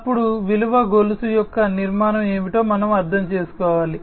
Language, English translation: Telugu, Then we should understand the what is the structure of the value chain